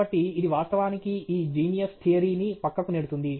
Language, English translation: Telugu, So, it actually debunks this so called Genius Theory